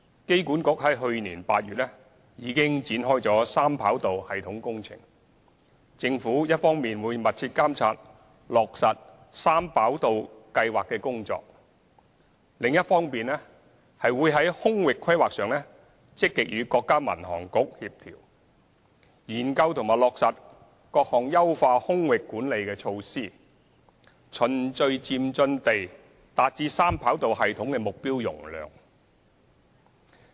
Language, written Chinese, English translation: Cantonese, 機管局於去年8月展開三跑道系統工程，政府一方面會密切監察落實三跑道計劃的工作，另一方面會在空域規劃上積極與國家民航局協調，研究和落實各項優化空域管理的措施，循序漸進地達至三跑道系統的目標容量。, AA launched the three - runway system project in August last year . The Government will on the one hand closely monitor the implementation of the project and on the other hand actively coordinate with the Civil Aviation Administration of China in airspace planning studying and implementing various measures to optimize airspace management and gradually achieving the target capacity of the three - runway system